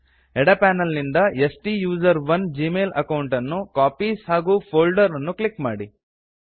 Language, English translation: Kannada, From the left panel, click on the STUSERONE gmail account and click Copies and Folders